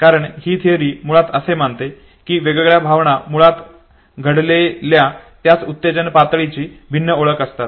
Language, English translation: Marathi, And therefore this theory basically considers different emotions as diverse cognition of the same arousal